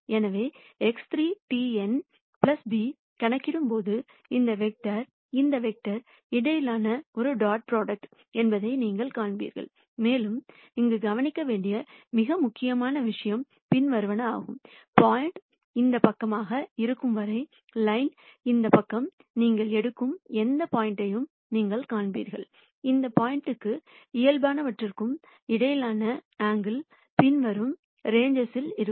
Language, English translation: Tamil, And if you notice this term you would see that this is a dot product between this vector and this vector, and the most important thing to note here is the following, as long as the point lies to this side, this side of the line then you would see whatever point you take, the angle between that point and the normal would be in the following ranges